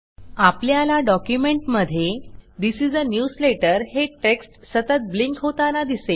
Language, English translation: Marathi, We see that the text This is a newsletter constantly blinks in the document